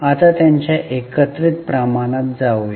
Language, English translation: Marathi, Now let us go for their combined ratios